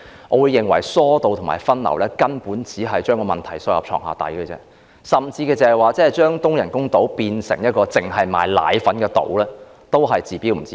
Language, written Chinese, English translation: Cantonese, 我認為，疏導和分流旅客只是將問題"掃到床下底"，而即使將東人工島變成一個只售賣奶粉的島，亦只是"治標不治本"。, In my view alleviating and diverting visitor flows is simply the same as sweeping the problem under the carpet . And even turning the eastern artificial island into an island where only formula milk is sold can merely treat the symptoms without addressing the problem